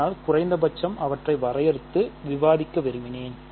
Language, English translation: Tamil, But, I wanted to discuss at least define them